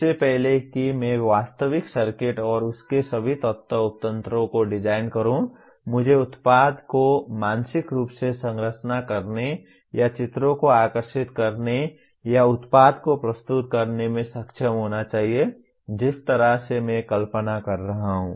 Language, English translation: Hindi, Before I design the actual circuits and all the element subsystems of that, I must be able to structure the product mentally or draw pictures or render the product the way I am visualizing